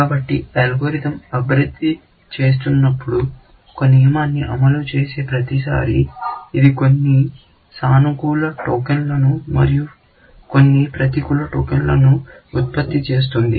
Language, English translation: Telugu, So, as the algorithm is progressing, every time it fires the rule, it will generate some positive tokens and some negative tokens